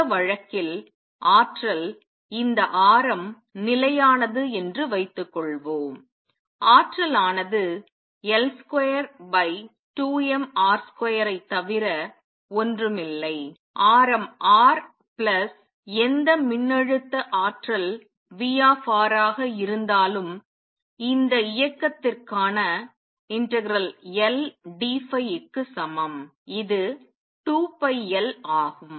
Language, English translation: Tamil, In this case the energy let us suppose this radius is fixed energy is nothing but L square where L is the angular momentum divided by 2 m R square if the radius is R plus whatever potential energy R, and recall that action J for this motion let us call it J phi is equal to integral L d phi which is 2 pi L